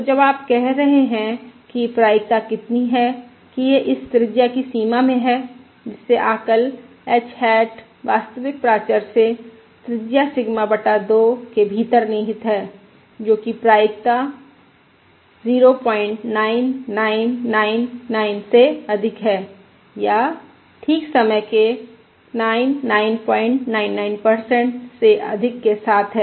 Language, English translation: Hindi, So when you are saying, what is the probability that this life, within a radius that is the estimate, h hat lies within the radius Sigma by 2 of the true parameter h, with probability greater than point 9999 or greater than 99 point, 99 percent of the time